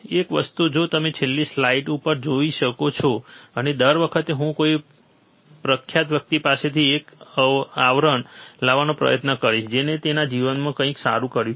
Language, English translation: Gujarati, One thing that you can see on this last slide also and every time I will try to bring one quote from some famous guy who has done something good in his life, right